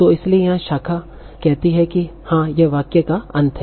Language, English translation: Hindi, So that's why the branch here says yes, this is the end of the sentence